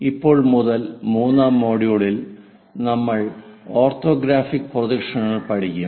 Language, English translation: Malayalam, From today onwards, we will cover module number 3 with lecture number 21, Orthographic Projections